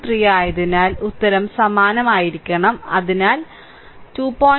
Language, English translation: Malayalam, 3 answer has to be same, so 2